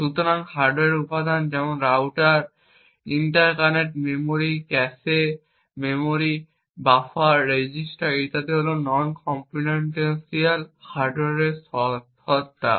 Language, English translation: Bengali, So, hardware components such as routers, interconnects memory, cache memories, buffers, registers and so on are non computational hardware entities